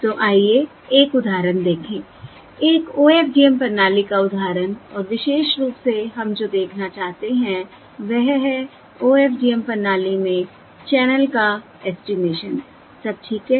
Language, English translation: Hindi, So let us look at an example, example of an OFDM system and, in particular, what we want to look at is channel estimation in OFDM system